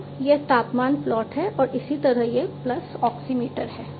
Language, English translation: Hindi, So, this is the temperature plot and likewise this pulse oximeter that is there